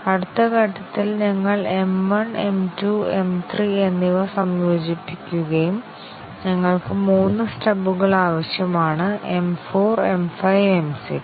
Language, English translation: Malayalam, And then the next step we integrate M 1, M 2, M 3 and we need three stubs M 4 M 5 and M 6